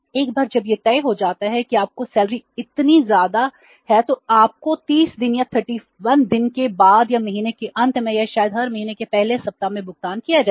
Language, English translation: Hindi, Once it is settled that your salary is this much you will be paid after 30 days or 31 days or maybe at the end of the month or maybe in the first week of every month no problem